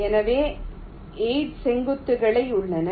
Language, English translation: Tamil, so there are eight vertices